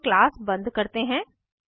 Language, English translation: Hindi, Here we close the class